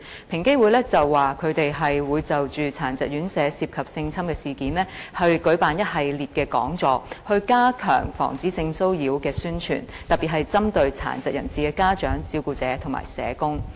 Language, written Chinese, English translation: Cantonese, 平機會指出會就殘疾人士院舍涉及性侵的事件，舉辦一系列講座，以加強防止性騷擾的宣傳，對象特別針對殘疾人士的家長、照顧者及社工。, EOC indicated that it would organize a series of seminars on incidents of sexual assaults in RCHDs and step up its promotion efforts on prevention of sexual harassment targeting parents of persons with disabilities carers and social workers